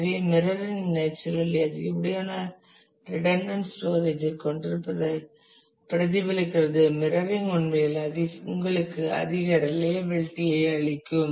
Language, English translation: Tamil, So, mirroring gives a at the expense of naturally having lot more of redundant storage the mirroring can actually give you a much higher reliability